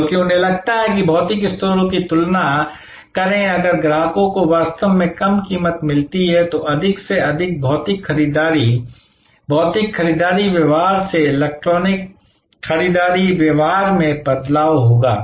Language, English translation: Hindi, Because, they feel that compare to the physical stores, if customers really find lower prices than more and more will shift from physical purchasing, physical shopping behavior to electronic shopping behavior